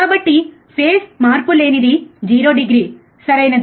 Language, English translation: Telugu, So, what is no phase shift it is a 0 degree, right